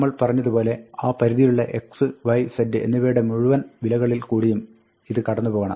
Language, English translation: Malayalam, This, as we said, requires us to cycle through all values of x, y, and z in that range